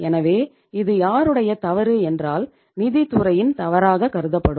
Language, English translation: Tamil, So whose fault it would be considered as, of the finance department